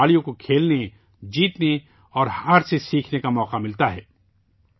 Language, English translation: Urdu, They give players a chance to play, win and to learn from defeat